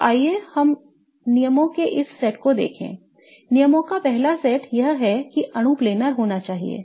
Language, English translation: Hindi, The first set of rules is that the molecule should be planar